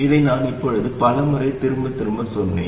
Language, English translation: Tamil, I have repeated this many times by now